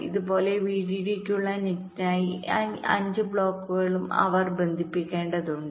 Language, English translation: Malayalam, similarly, for the net, for vdd, they also needed to connect this five blocks